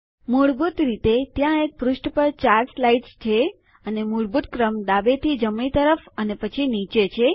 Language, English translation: Gujarati, By default,there are 4 slides per page and the default order is left to right,then down